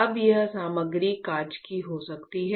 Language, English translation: Hindi, Now, this material can be glass